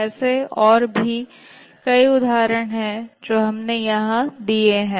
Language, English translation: Hindi, There are many other, we just given some important examples here